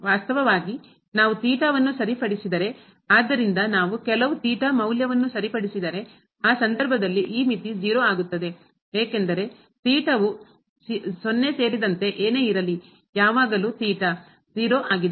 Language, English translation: Kannada, Indeed, if we fix theta; so if we fix some value of theta, in that case this limit is 0 because, whatever theta including 0 also when theta is 0